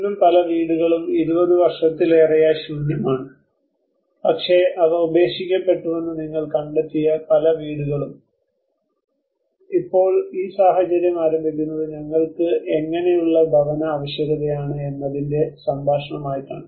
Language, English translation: Malayalam, Even today many houses are still empty more than 20 years now but still many houses you find they are abandoned, it is now this situation opens as a dialogue of what kind of a housing demand we have